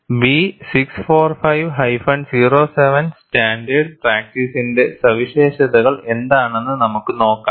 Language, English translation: Malayalam, Let us see, what are the features of standard practice B645 07